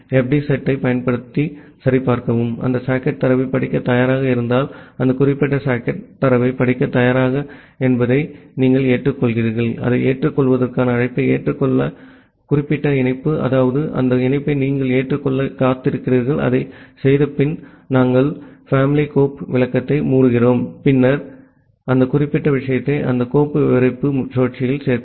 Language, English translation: Tamil, And after that if select returns; that means, some socket is ready for reading the data then you check using fd set, whether that particular socket is ready to read the data if that socket is ready to read the data then, you make a accept call, accept call to accept that particular connection that means, some connection is waiting you accept that connection and after doing that, the way we are closing the child file descriptor and then add that particular thing to that file descriptor loop